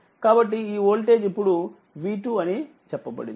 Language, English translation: Telugu, So, this voltage is now say v 2 right